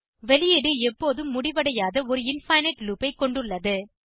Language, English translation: Tamil, The output will consist of an infinite loop that never ends